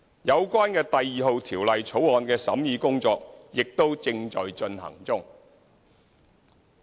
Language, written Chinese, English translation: Cantonese, 有關《2017年印花稅條例草案》的審議工作亦正在進行中。, The scrutiny of the Stamp Duty Amendment No . 2 Bill 2017 is still in progress